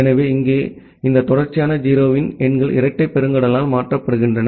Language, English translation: Tamil, So, here these numbers of consecutive 0’s are replaced by a double colon